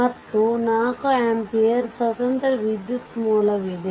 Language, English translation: Kannada, And this is your 4 ampere your independent current source